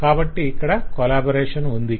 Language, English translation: Telugu, so the collaboration is here